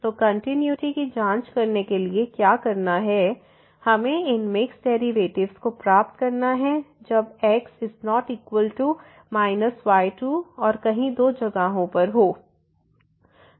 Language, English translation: Hindi, So, what to do to con to check the continuity we have to get the these mixed derivatives when is not equal to minus square and also elsewhere the both the places